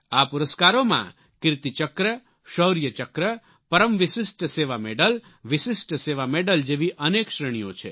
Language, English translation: Gujarati, There are various categories of these gallantry awards like Kirti Chakra, Shaurya Chakra, Vishisht Seva Medal and Param Vishisht Seva Medal